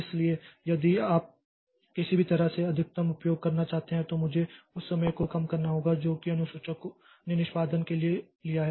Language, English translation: Hindi, So, that is how that is why so if you want to maximize if utilization somehow I have to reduce the time that this scheduler takes for execution